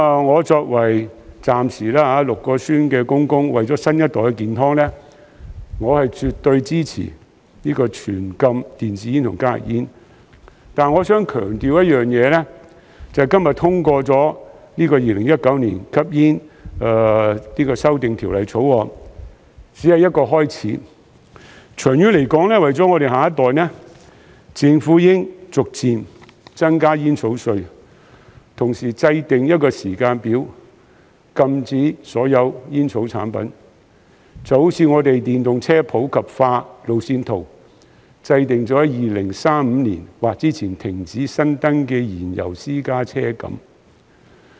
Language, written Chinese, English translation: Cantonese, 我作為暫時6名孫兒的祖父，為了新一代的健康，我是絕對支持全面禁止電子煙及加熱煙，但我想強調一件事，就是今天通過《2019年吸煙條例草案》只是一個開始，長遠而言，為了我們的下一代，政府應逐漸增加煙草稅，同時制訂一個時間表，禁止所有煙草產品，就好像我們電動車普及化路線圖，制訂於2035年或之前停止新登記燃油私家車一樣。, However I want to emphasize that the passage of the Smoking Amendment Bill 2019 today is just a start . In the long run for the sake of our next generation the Government should gradually increase the tobacco duty . At the same time it should draw up a timetable for banning all tobacco products just like the Roadmap on Popularisation of Electric Vehicles which provides for the cessation of new registration of fuel - propelled private cars in 2035 or earlier